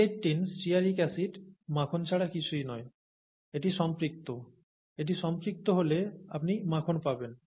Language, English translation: Bengali, C18 stearic acid is nothing but butter, okay, it is saturated; if it is saturated you get butter